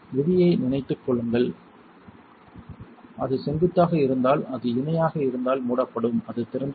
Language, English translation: Tamil, Remember the rule if it is perpendicular it is closed if it is parallel it is open